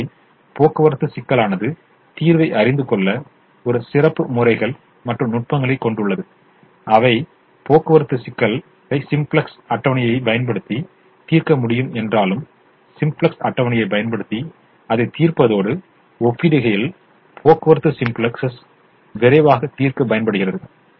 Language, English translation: Tamil, now the transportation problem therefore has special methods and techniques which are used to solve the transportation problem in a faster, quicker manner compared to solving it using the simplex table, even though it can be solved using the simplex table